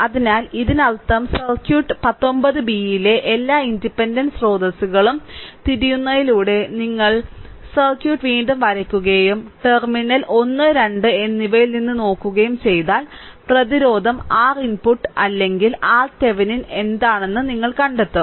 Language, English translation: Malayalam, So, that means, in this case in the circuit 19 b that you just redraw the circuit by turning up all the independent sources and from looking from terminal 1 and 2, you find out what is the resistance R input or R Thevenin right